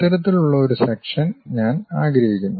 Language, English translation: Malayalam, This kind of section I would like to have it